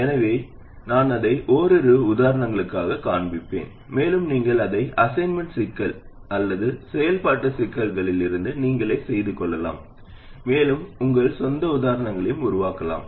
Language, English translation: Tamil, So I will show it for a couple of examples and you can work it out yourself from assignment problems or activity problems and you can even create your own examples